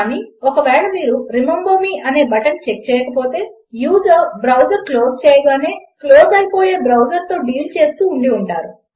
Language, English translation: Telugu, But if you didnt check a button like remember me, you will probably be dealing with sessions which close as soon as the user closes the browser